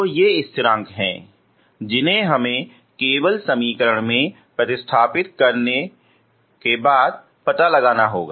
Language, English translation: Hindi, So these are constants we have to find out by simply substituting into the equation